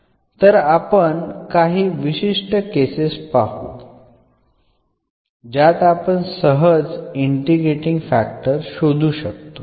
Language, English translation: Marathi, So, we will consider only some special cases where we can find the integrating factor easily